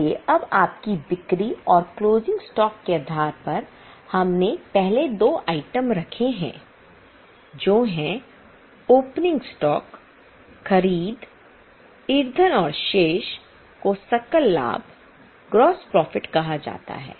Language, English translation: Hindi, So, now based on your sales and closing stock, we have charged first two items that is opening stock, purchases and fuel and the balance is called as gross profit